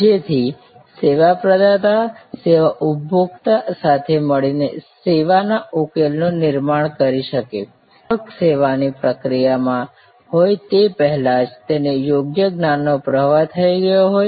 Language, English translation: Gujarati, So, that the service provider can co create the service solution in collaboration together with the service consumer, if that proper knowledge flow has already happened before the customer is in the service process